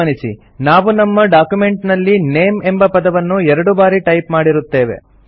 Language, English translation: Kannada, Notice that we have typed the word NAME twice in our document